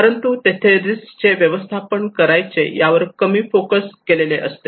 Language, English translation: Marathi, But they have less focus on how to manage the risk